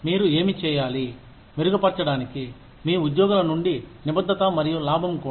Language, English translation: Telugu, What should you do, to enhance, commitment from your employees, and to also make profit